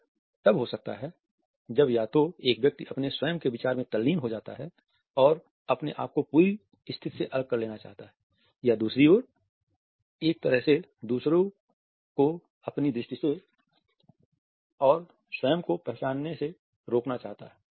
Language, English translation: Hindi, It may occur when either a person is engrossed in one’s own thought and wants to cut off from the whole situation or on the other hand wants to in a way block others from the sight and from the cognizes itself